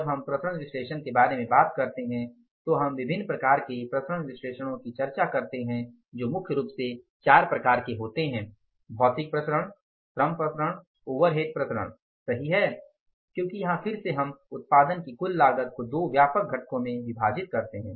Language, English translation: Hindi, Then we talk about something like at now the variance analysis and when you talk about the variance analysis we go for the different kind of the variance analysis which are largely four type of the variances material variances labor variances overhead variances right because again here we divide the total cost of production into two broad components, variable cost and the fixed cost